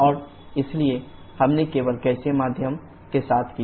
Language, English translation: Hindi, And hence we did only with the gaseous medium